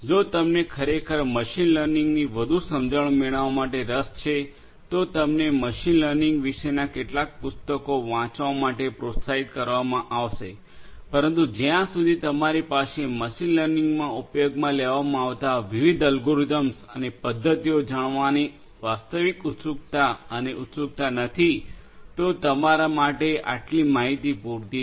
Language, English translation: Gujarati, If you are indeed interested to get more understanding of machine learning you are encouraged to go through some book on machine learning, but you know unless you have you know real curiosity and curiosity to know the different algorithms and methodologies that could be used in machine learning only this much of information should be sufficient for you